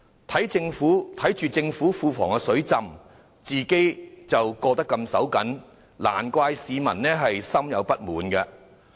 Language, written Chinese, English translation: Cantonese, 市民看到政府庫房"水浸"，自己的生活卻十分緊絀，難怪他們對政府感到不滿。, No wonder the public are dissatisfied with the Government when they see that the Treasury is flooded with money when they are living from hand to mouth